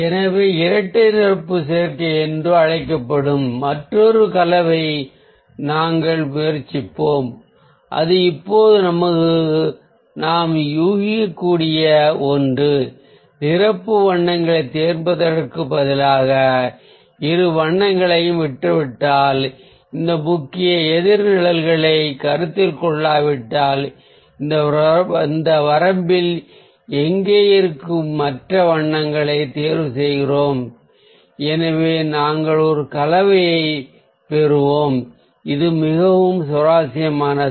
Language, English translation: Tamil, so we'll try another combination which is known as a double complementary combination, and that is ah, something that we can guess now, that instead of choosing the complementary colours, like if we leave ah, both the colours, if we do not consider this main opposite shades, and we choose the other colours which are like ah, here in this range, this one, this one, this one and this one, so we will get a combination which can also be very interesting